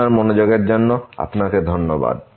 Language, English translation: Bengali, Thank you for your attention